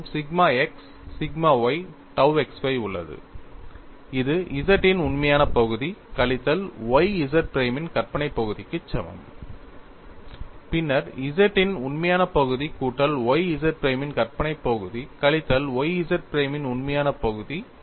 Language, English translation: Tamil, You have sigma x sigma y tau xy, which is equal to real part of capital ZZ minus y, imaginary part of capital ZZ prime, wthen real part of capital ZZ plus y imaginary part of capital ZZ prime minus y real part of capital ZZ prime